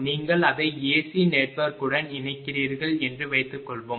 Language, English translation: Tamil, It's suppose you are connecting it to AC network right